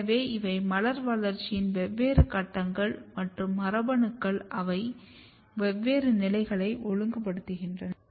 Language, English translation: Tamil, So, these are different stages of the flower development and then you have different genes which are regulating different stages